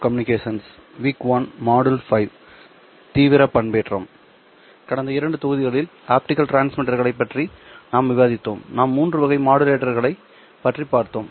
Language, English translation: Tamil, In the last two modules we were discussing optical transmitters and we looked at three kinds of modulators